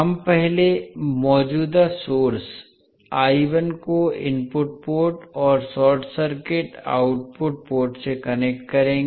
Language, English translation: Hindi, We will first connect the current source I1 to the input port and short circuit the output port